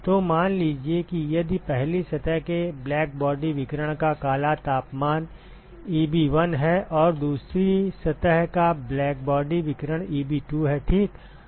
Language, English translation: Hindi, So, supposing if the if the black temperature of of the blackbody radiation of the first surface is Eb1 and, the blackbody radiation of the second surface is Eb2 ok